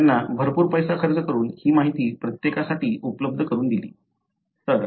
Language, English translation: Marathi, They spent lot of money and made this information available for everybody